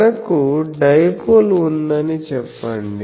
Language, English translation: Telugu, So, let us say that we have a dipole